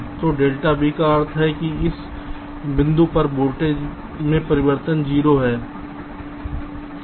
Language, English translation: Hindi, so delta v means change in voltage across this point zero